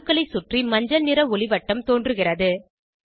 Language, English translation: Tamil, A yellow halo appears around the atoms